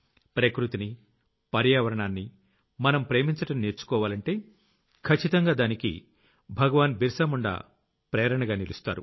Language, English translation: Telugu, If we have to learn to love nature and the environment, then for that too, Dharati Aaba Bhagwan Birsa Munda is one of our greatest inspirations